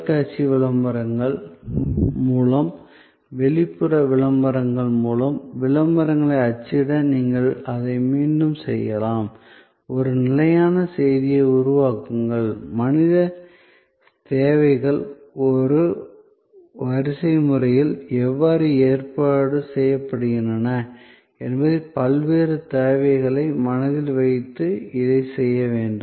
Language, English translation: Tamil, And you can repeat that through television ads, through outdoor advertising, to print ads; create a consistent message this is to be done keeping in mind, the various needs how the human needs are arranged in a hierarchy